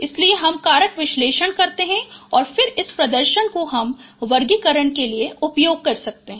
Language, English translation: Hindi, So you can perform factor analysis and then those representation can be used for classification